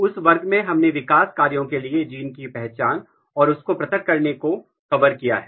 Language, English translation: Hindi, So, in that class we have covered identification and isolation of genes for developmental functions